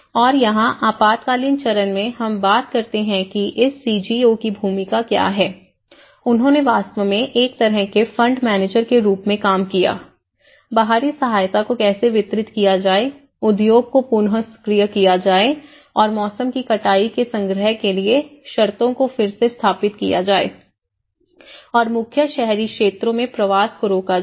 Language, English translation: Hindi, And here, in the emergency phase, we talk about what is the role of this CGOs, they actually worked as a kind of fund managers, how to distribute the external aid, reactivating the industry and re establishing conditions for collection of seasons harvest and preventing migration to main urban areas